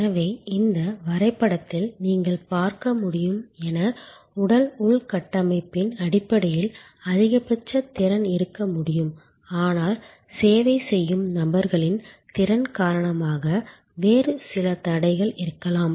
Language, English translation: Tamil, So, in this diagram as you can see there can be a maximum capacity in terms of the physical infrastructure, but there can be some other constraints due to the capacity of the service people